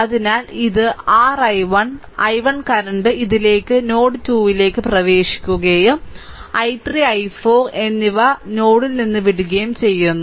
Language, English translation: Malayalam, So, this is your i 1; i 1 current is entering right into this into node 2 and i 3 and i 4 are leaving